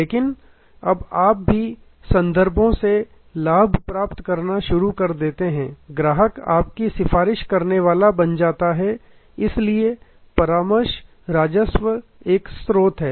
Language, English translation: Hindi, But, now you also start getting profit from references, the customer becomes your advocate, so there are referral revenue sources